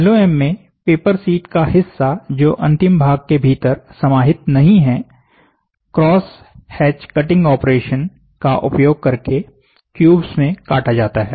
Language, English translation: Hindi, In LOM, the portion of the paper sheet which is not contained within the final part is sliced into cubes of material using a cross hatch cutting operation